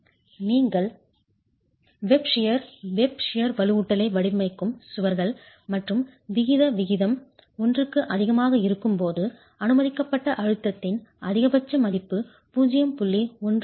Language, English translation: Tamil, When you have walls where you are designing web share reinforcement and the aspect ratio is greater than one, the maximum value of the maximum value of the permissible stress is 0